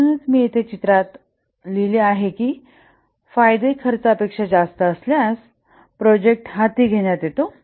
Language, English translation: Marathi, So this is what I have just pictorially written here that the benefits are more than the costs than the project is undertaken